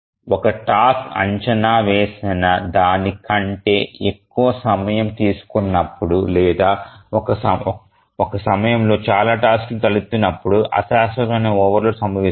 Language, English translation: Telugu, A transient overload occurs when a task takes more time than it is estimated or maybe too many tasks arise at some time instant